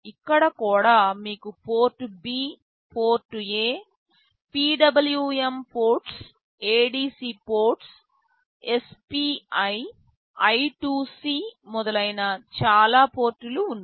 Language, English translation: Telugu, Here also you have Port B, Port A, PWM ports, ADC ports, SPI, I2C and so many ports are there